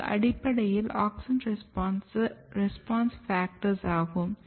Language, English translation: Tamil, So, basically these are AUXIN RESPONSE FACTORS